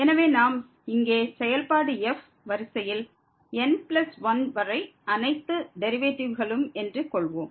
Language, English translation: Tamil, So, we assume that the function here has all the derivatives up to the order plus 1